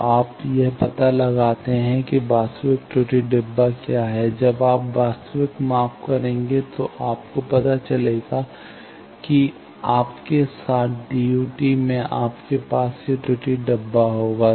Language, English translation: Hindi, So, you can find out form that error boxes what is the actual when you will do actual measurements you know that with you DUT you will have that error boxes